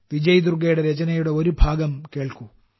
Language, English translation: Malayalam, Do listen to this part of Vijay Durga ji's entry